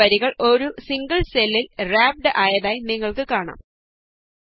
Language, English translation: Malayalam, You see that the multiple statements get wrapped in a single cell